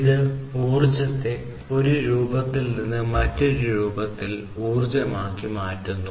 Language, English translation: Malayalam, It converts the energy from one form to the energy in another form